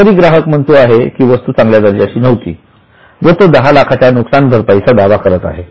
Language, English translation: Marathi, But still customer says no, product is of bad quality, claims a compensation of 10 lakhs